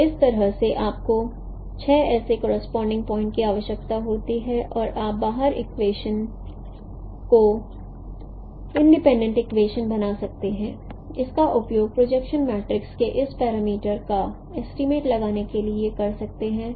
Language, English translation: Hindi, So in this way you require six such point correspondences and you can form 12 equations independent equations and use it to derive the estimate these parameters of the projection matrix